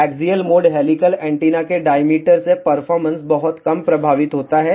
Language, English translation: Hindi, The performance is very little affected by the diameter of the axial mode helical antenna